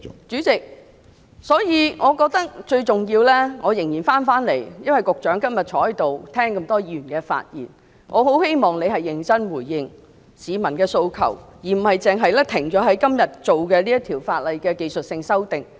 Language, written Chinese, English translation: Cantonese, 主席，所以我認為最重要的是......我返回辯論議題，因為局長今天在席，聆聽過這麼多位議員的發言，我很希望局長可認真地回應市民的訴求，而不單是止步於今天這項《條例草案》的技術修訂。, President therefore I think the most important thing is I will come back to the question of the debate because the Secretary is present today and has listened to the speeches of so many Members so I hope very much that he can seriously respond to the demands of the public rather than stop at making the technical amendments to the Bill today